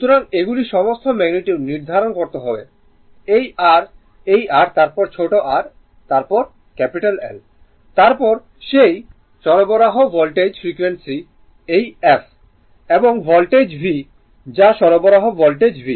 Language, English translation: Bengali, So, these are all magnitude you have to Determine the capital this just let me clear it this, this R this R then the small r then L right, then the frequency of that supply Voltage this f and the Voltage V that is the supply Voltage V